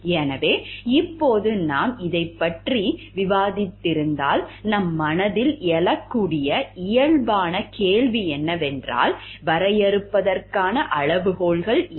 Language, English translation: Tamil, So, now if we have discussed this, the natural question which may arise in our mind is, then what are the criteria for defining